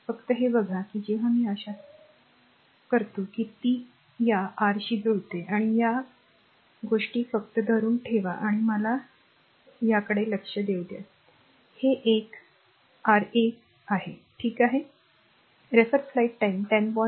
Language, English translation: Marathi, Just see that when I making it hope it is matching with this your this thing just hold on let me have a look this one this one R 1, R 2, R 3 ok